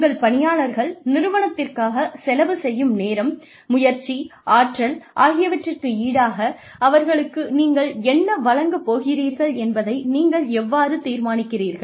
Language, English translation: Tamil, How do you decide, what to give your employees, in return for the time, effort, energy, they put in, to their work